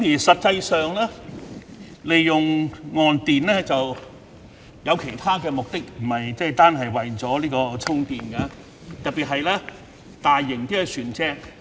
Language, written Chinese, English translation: Cantonese, 實際上，岸電並非純粹供渡輪充電，亦可作其他用途，特別是大型船隻。, Actually onshore power is used not only for charging ferries but also for other purposes especially in the case of large vessels